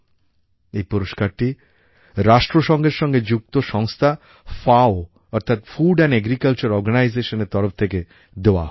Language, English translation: Bengali, This award is given by the UN body 'Food & Agriculture Organisation' FAO